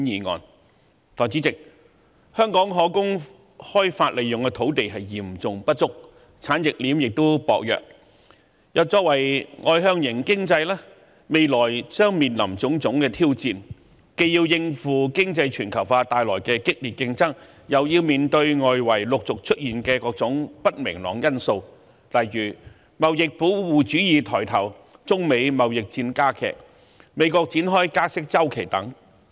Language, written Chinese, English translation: Cantonese, 代理主席，香港可供開發利用的土地嚴重不足，產業鏈亦薄弱，作為外向型經濟，未來將面臨種種挑戰，既要應付經濟全球化帶來的激烈競爭，又要面對外圍陸續出現的各種不明朗因素，例如貿易保護主義抬頭、中美貿易戰加劇、美國展開加息周期等。, Our industry chain is weak . As an externally - oriented economy Hong Kong will face many challenges in the future . Apart from the intense competition brought by economic globalization we also have to deal with different uncertainties of the external economic environment such as the revival of trade protectionism the worsening of the China - United States trade war the debut of an upward interest rates cycle of the United States etc